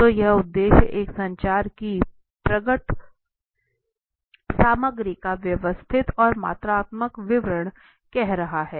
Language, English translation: Hindi, So it is saying the objective systematic and quantitative description of the manifest content of a communication